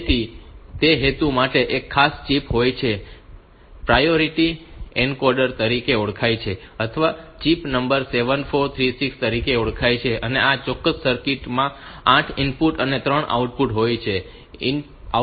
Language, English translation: Gujarati, So, for that purpose there is a special chip which is known as priority encoder or chip number is 74366 this particular circuit it has got 8 inputs and 3 outputs